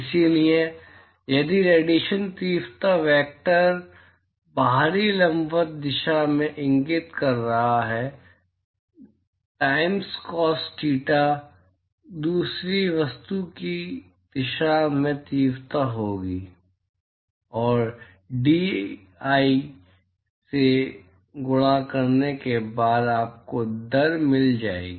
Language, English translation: Hindi, So, if the radiation intensity vector is pointing in the outward perpendicular direction, so I times cos theta will be the intensity in the direction towards the second object, and that multiplied by dAi will give you the rate